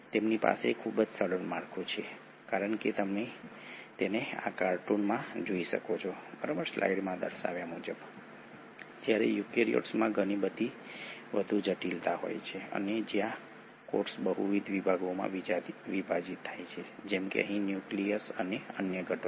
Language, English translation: Gujarati, They have a much simpler structure as you can see it in this cartoon while the eukaryotes have a much more complexity where the cell gets divided into multiple sections such as here the nucleus and the other components